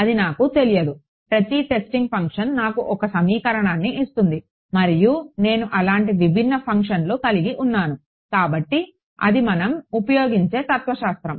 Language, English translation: Telugu, That is my unknown every testing function gives me one equation and I have n such distinct functions; so, that is that is the sort of philosophy that we use